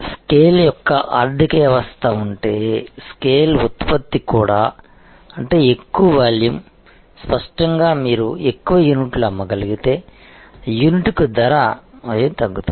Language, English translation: Telugu, And also the scale production are if there is a economy of scale; that means, more volume; obviously you are fixed cost per unit will down, it more units are sold so